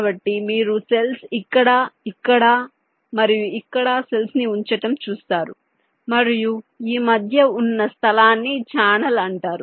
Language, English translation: Telugu, so you can see that there are cells placed here, cells placed here and this space in between